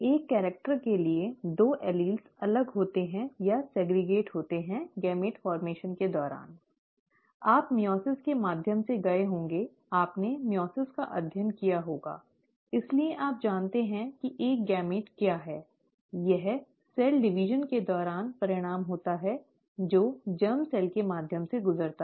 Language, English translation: Hindi, The two alleles for a character separate out or segregate during gamete formation, right, you would have gone through meiosis, you would have studied meiosis, so you know what a gamete is; this is what results during, in the cell division, that is gone through by the germ cells